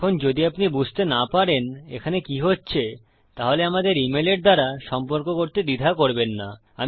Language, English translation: Bengali, Now if you dont understand what is going on please feel free to contact us via e mail